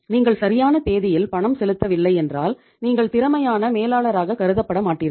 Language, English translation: Tamil, If you are not making the payment on the due date you are not considered as the efficient manager